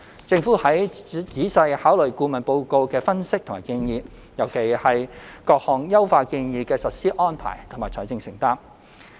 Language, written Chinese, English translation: Cantonese, 政府會仔細考慮顧問報告的分析和建議，尤其是各項優化建議的實施安排和財政承擔。, The Government will carefully consider the analysis and recommendations of the consultants report especially the implementation arrangements and financial commitment of the optimization proposals